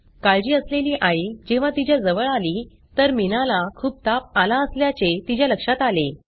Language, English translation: Marathi, The worried mother who came near her noticed that she has a high temperature